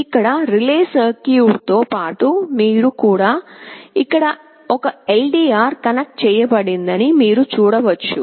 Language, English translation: Telugu, Here in addition to the relay circuit, now you can see we also have a LDR connected out here